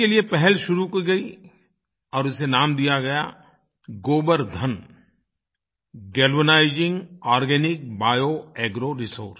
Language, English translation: Hindi, An effort was initiated which was named GOBARDhan Galvanizing Organic Bio Agro Resources